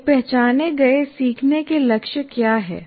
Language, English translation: Hindi, What is an identified learning goal